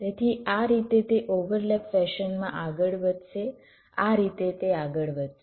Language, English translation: Gujarati, so in this way this will go on in a overlap fashion